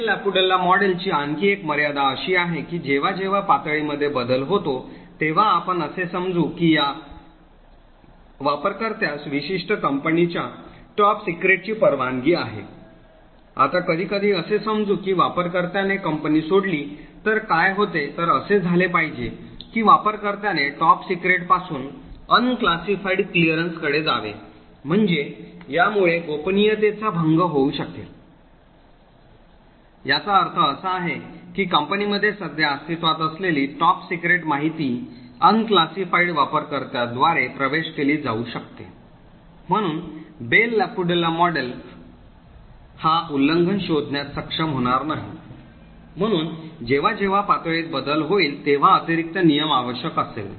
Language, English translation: Marathi, Another limitation of the Bell LaPadula model is the case when there is a change of levels, let us assume that a user has a clearance of top secret a particular company, now after sometimes let us assume that user leaves the company, so what should happen is that user should move from top secret to an unclassified clearance, so this could lead to a breach of confidentiality, it would mean that top secret information present in the company is now accessed by unclassified users, so the Bell LaPadula model would not be able to detect this breach, therefore an additional rule would require whenever there is a change of levels